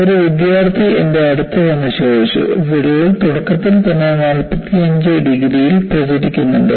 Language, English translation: Malayalam, In fact, one of the students, came to me and asked, does the crack, initially propagate at 45 degrees